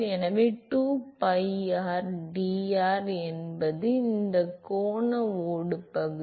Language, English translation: Tamil, So, 2pi rdr is the area of this angular shell